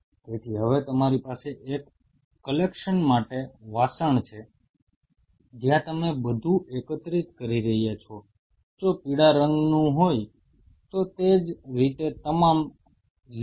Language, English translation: Gujarati, So now you have a collection vessel where you are collecting all the green ones similarly if there is a yellow one coming through